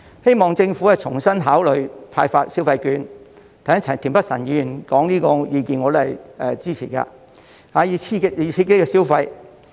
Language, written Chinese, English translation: Cantonese, 希望政府重新考慮派發消費券——田北辰議員剛才提出這個意見，我是支持的——以刺激消費。, I hope the Government can reconsider the proposal to hand out shopping vouchers Mr Michael TIEN made this suggestion just now and I support it so as to stimulate spending